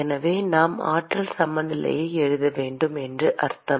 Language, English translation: Tamil, So which means that we need to write a energy balance